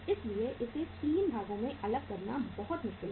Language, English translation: Hindi, So it is very difficult to segregate this into 3 parts